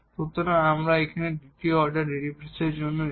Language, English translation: Bengali, So, we will we go for the second order derivative here